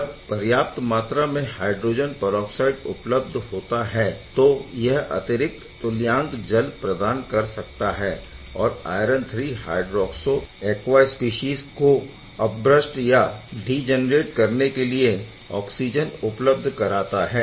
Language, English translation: Hindi, If enough hydrogen peroxide is present then this hydrogen peroxide can give another equivalent can give water and oxygen to degenerate the iron III hydroxo aqua species